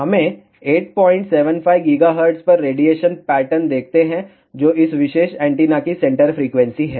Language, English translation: Hindi, 7 5 gigahertz, which is approximately the centre frequency of this particular antenna